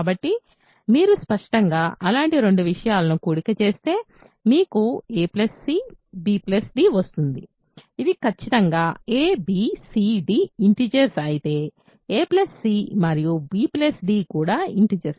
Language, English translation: Telugu, So, if you obviously add two such things, you get a plus c b plus d right, this is certainly if a b c d are integers, a plus c and b plus c d are also integers